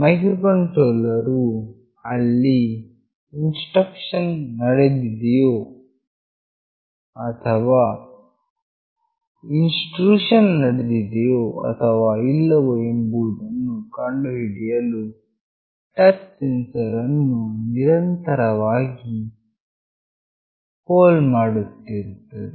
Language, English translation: Kannada, The microcontroller continuously polls the touch sensor to find out whether there is an intrusion or not